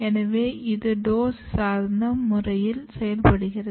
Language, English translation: Tamil, So, it might be working in the dose dependent minor